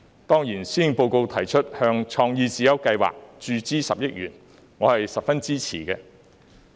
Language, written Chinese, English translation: Cantonese, 當然，施政報告提出向創意智優計劃注資10億元，我是十分支持的。, Certainly I strongly support the 1 billion injection into the CreateSmart Initiative CSI proposed in the Policy Address